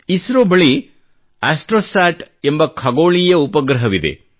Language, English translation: Kannada, ISRO has an astronomical satellite called ASTROSAT